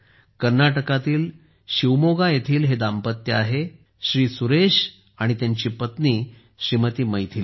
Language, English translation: Marathi, This is a couple from Shivamogga in Karnataka Shriman Suresh and his wife Shrimati Maithili